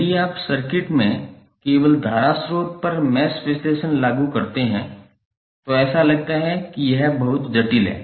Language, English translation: Hindi, If you apply mesh analysis to the circuit only the current source it looks that it is very complicated